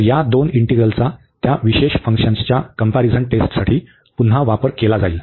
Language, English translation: Marathi, So, these two integrals will be used again for the comparison test of those special functions